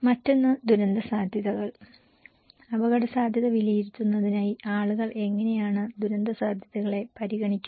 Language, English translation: Malayalam, Another one the catastrophic potentials, how people consider the catastrophic potentials in order to judge the risk